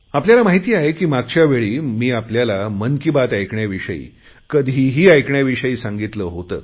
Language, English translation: Marathi, As you know and I had said it last time also, you can now listen to my Mann Ki Baat in about 20 languages whenever you wish to